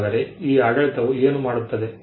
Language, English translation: Kannada, So, what does this regime do